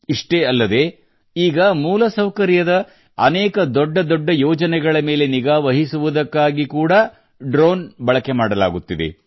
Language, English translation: Kannada, Not just that, drones are also being used to monitor many big infrastructure projects